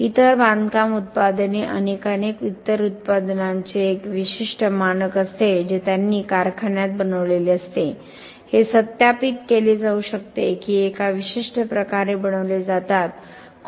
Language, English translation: Marathi, Other construction products many many other products have a certain standard they made in a factory it can be verified that they made in a certain way